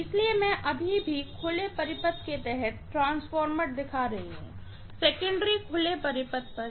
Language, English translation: Hindi, So, I am still showing the transformer under open circuit, the secondary is on open circuit, okay